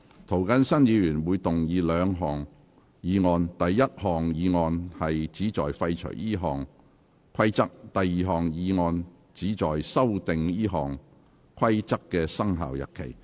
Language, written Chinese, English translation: Cantonese, 涂謹申議員會動議兩項議案：第一項議案旨在廢除這項規則；第二項議案旨在修訂這項規則的生效日期。, Mr James TO will move two motions the first motion seeks to repeal the Rules; and the second motion seeks to amend the commencement date of the Rules